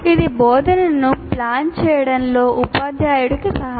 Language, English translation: Telugu, And that kind of thing will help the teacher in planning the instruction